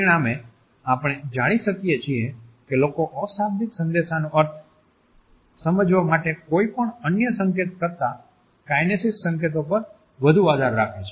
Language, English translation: Gujarati, Consequently, we find that people rely more on kinesic cues than any other code to understand meanings of nonverbal messages